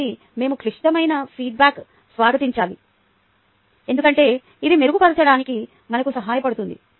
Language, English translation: Telugu, so we should welcome, we should welcome ah critical feedback, because that is what helps us to improve